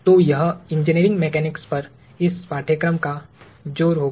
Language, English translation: Hindi, So, that is going to be the emphasis of this course on Engineering Mechanics